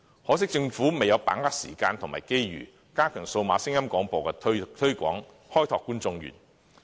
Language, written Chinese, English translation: Cantonese, 可惜政府未有把握時間和機遇，加強推廣數碼聲音廣播，開拓觀眾源。, It has regrettably missed out the timing and opportunities to strengthen the promotion of DAB and to develop new audienceship